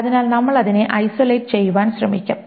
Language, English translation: Malayalam, So we will try to isolate it